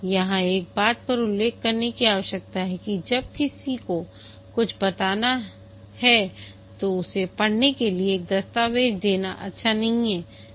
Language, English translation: Hindi, One thing need to mention here is that when want to convey something to somebody, it's not a good idea to give him a document to read